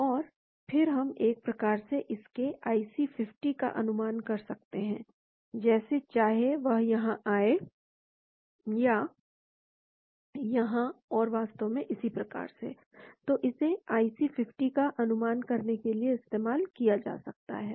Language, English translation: Hindi, And then we can sort of predict its IC 50, whether if it comes here, here and so an actually,, so this can be used as a IC50 predictive 2,